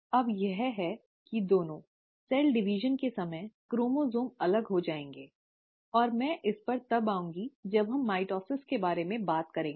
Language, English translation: Hindi, Now it is here, that the two, at the time of cell division, the chromosomes will separate, and I will come to this when we talk about mitosis